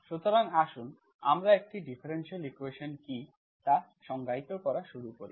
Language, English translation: Bengali, So let us start defining what is a differential equation